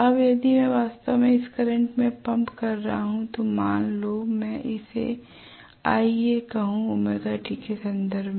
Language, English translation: Hindi, Now, if I am actually pumping in this current so let me call this as Ia with respect to omega t right